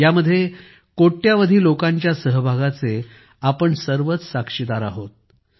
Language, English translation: Marathi, We are all witness to the participation of crores of people in them